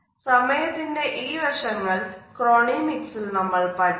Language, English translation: Malayalam, So, these aspects of time would be studied in Chronemics